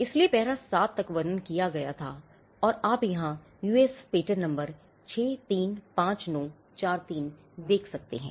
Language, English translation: Hindi, So, till para 7, what was described was and you can see here US patent number 635943